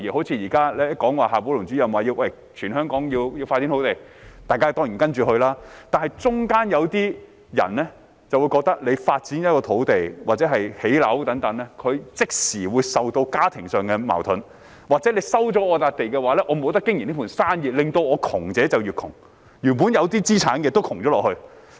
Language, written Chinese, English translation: Cantonese, 正如現時夏寶龍主任說全香港要開發土地，大家當然按着辦，但在過程中有些人就會覺得，發展一幅土地或建屋等，他們即時會受到家庭上的矛盾衝擊，或是他們被收回土地的話，便不能經營原有生意，導致窮者越窮，原本有一點資產的也變得貧窮。, For example now that Director XIA Baolong advocates land development across the territory we will certainly go by his words but in the process some people may think that if a piece of land is developed for housing or whatever they will be beset by family conflicts or if their land is resumed they will be unable to run their existing business resulting in the poor getting poorer and those originally possessing some assets also becoming poor